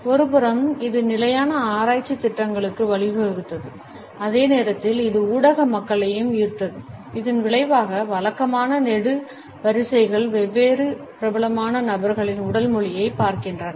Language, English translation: Tamil, On one hand it resulted into sustainable research programs and at the same time it also attracted the media people resulting in regular columns looking at the body language of different famous people